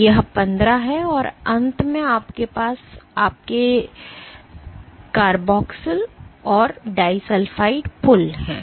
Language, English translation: Hindi, So, this is my 15 and towards the end you have your COOH and the disulfide bridges